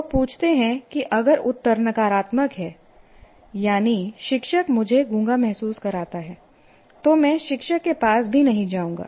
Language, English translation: Hindi, People ask if the answer is kind of negative, yes, the teacher doesn't make, makes me feel dumb, then I will not even approach the teacher